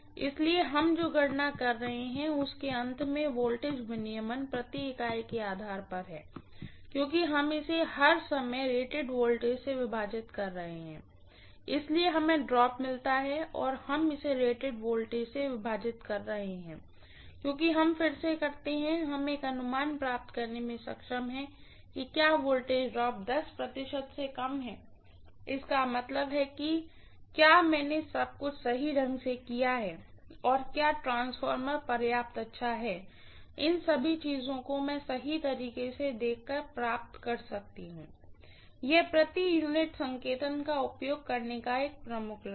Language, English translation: Hindi, So voltage regulation at the end of what we are calculating is on a per unit basis because we are dividing it by rated voltage all the time, so we get the drop and we are dividing it by rated voltage because we do that again, we are able to get an estimate whether the voltage drop is less than 10 percent, that means whether I have done everything correctly or whether the transformer is good enough, all these things I would be able to get a feel for right by observing, that is one of the major advantages of using per unit notation